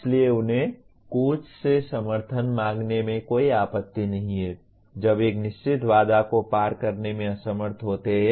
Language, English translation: Hindi, So they do not mind seeking support from the coach when you are unable to cross a certain barrier